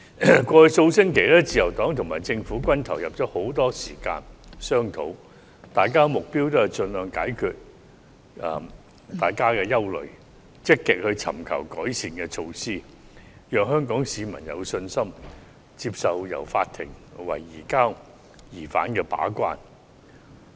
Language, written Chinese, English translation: Cantonese, 過去數星期，自由黨及政府均投入了很多時間進行商討，雙方的目標是盡量解決大家的憂慮，積極尋求改善的措施，讓香港市民有信心接受由法院為移交疑犯的安排把關。, Over the past few weeks the Liberal Party and the Government have devoted a lot of time on discussions . Both sought to address each others concerns by all means and proactively explore improvement measures so that Hong Kong people can confidently accept the role of the courts as a gatekeeper in the arrangements for the surrender of suspects